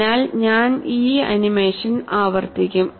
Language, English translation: Malayalam, So, I will repeat the animation